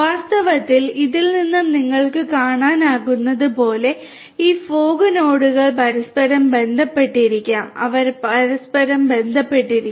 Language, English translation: Malayalam, In fact, as you can see from this also these fog nodes may also be interconnected they might be interconnected with one another right